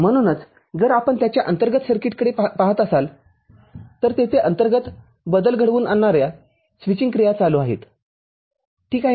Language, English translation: Marathi, So, if you look at the internal circuits of it there are switching activity that is happening inside – ok